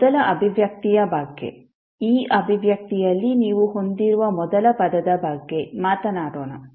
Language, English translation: Kannada, Let’ us talk about the first expression, first term which you have in this expression